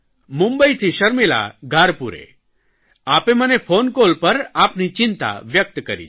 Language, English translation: Gujarati, Sharmila Dharpure from Mumbai has expressed her concern to me through her phone call